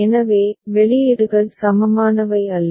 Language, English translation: Tamil, So, the outputs are not equivalent